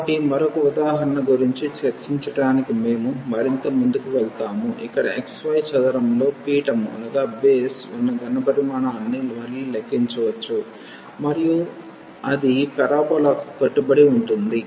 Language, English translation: Telugu, So, we move further to discuss another example where again we will compute the volume of the solid whose base is in the xy plane, and it is bounded by the parabola